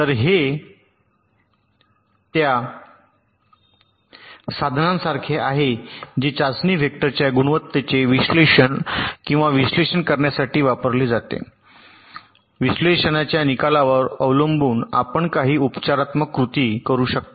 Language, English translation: Marathi, so this is more like a tool which is used to get or analyze the quality of the test vectors and, depending on the result of the analysis, you can take some remedial actions